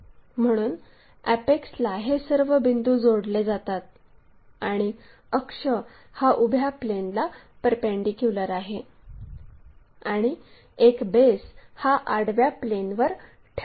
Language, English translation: Marathi, So, having apex all these points are going to connected there and axis perpendicular to vertical plane and one of the base is resting